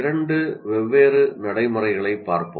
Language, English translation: Tamil, Let us look at two different practices